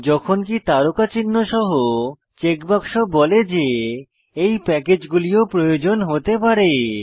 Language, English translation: Bengali, Whereas checkboxes with star marks, indicate that you may need these packages, as well